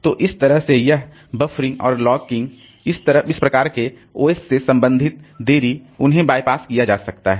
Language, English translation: Hindi, So, that way this buffering and locking, so this type of OS related delays they can be bypassed